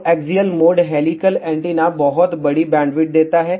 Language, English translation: Hindi, So, axial mode helical antenna does gave very large bandwidth